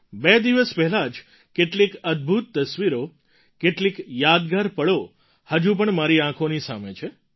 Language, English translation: Gujarati, A few amazing pictures taken a couple of days ago, some memorable moments are still there in front of my eyes